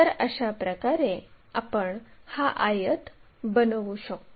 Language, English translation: Marathi, So, in that way we can construct this rectangle